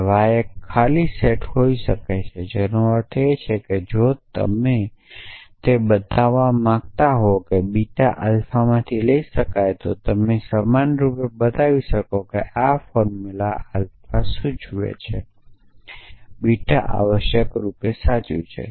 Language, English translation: Gujarati, Now, this s could be an empty set, which means that if you want to show that beta can be derive from alpha, then you can equivalently show that this formula alpha implies beta is true essentially